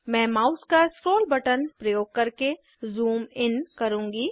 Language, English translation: Hindi, I will zoom in using the scroll button of the mouse